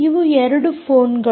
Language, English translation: Kannada, ok, these are two phones